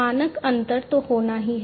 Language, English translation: Hindi, So, standard difference has to be there